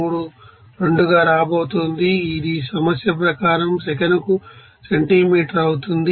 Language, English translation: Telugu, 832, this will be centimeter per second as per problem